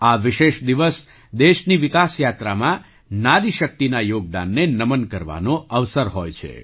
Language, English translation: Gujarati, This special day is an opportunity to salute the contribution of woman power in the developmental journey of the country